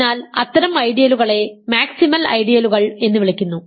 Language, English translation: Malayalam, So, such ideals are called maximal ideals